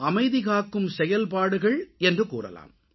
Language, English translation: Tamil, Peacekeeping operation is not an easy task